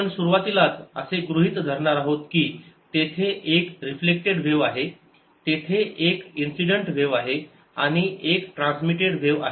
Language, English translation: Marathi, we are going to assume right in the, the beginning there is a reflected wave, there is an incident wave and there is a transmitted wave